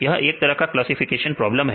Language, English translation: Hindi, This is a kind of classification problem